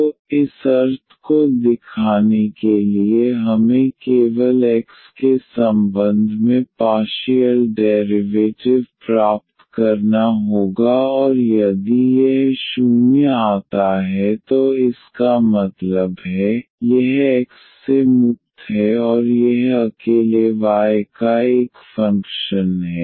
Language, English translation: Hindi, So, to show this meaning we have to just get the partial derivative with respect to x and if it comes to be 0 that means, this is free from x and it is a function of y alone